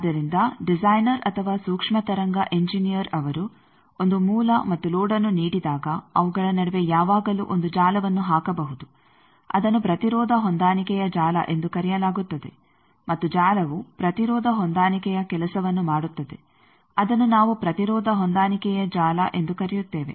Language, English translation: Kannada, So, a designer or microwave engineer he should be able to do that given a load and source, but always he can do put a network in between that is called impedance matching network and that network will do the job of impedance matching that we call impedance matching network